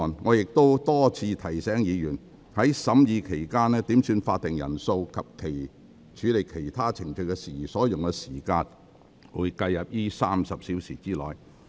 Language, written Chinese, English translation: Cantonese, 我亦已多次提醒議員，在審議期間，點算法定人數及處理其他程序事宜所用的時間會計入該30小時之內。, I have also repeatedly reminded Members that during the consideration of the Bill the time spent on headcount and dealing with other procedural matters will be counted in the 30 hours